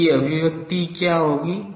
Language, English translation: Hindi, What will be its expression